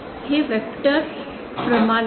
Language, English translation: Marathi, This is the vector quantity